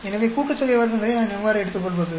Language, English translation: Tamil, So, how do I take the sum of squares